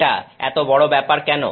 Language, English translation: Bengali, Why is this such a big deal